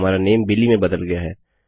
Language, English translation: Hindi, Our name has changed to Billy